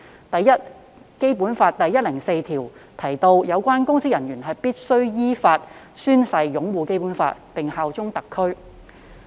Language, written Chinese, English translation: Cantonese, 第一，《基本法》第一百零四條訂明，有關公職人員必須依法宣誓擁護《基本法》並效忠特區。, First Article 104 of the Basic Law provides that public officers must in accordance with law swear to uphold the Basic Law and bear allegiance to SAR